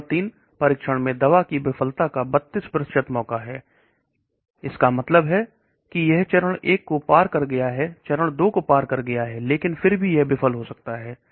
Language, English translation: Hindi, The drug in phase 3 testing has 32% chance of failure, that means it is crossed phase 1, it crossed phase 2, but still it can fail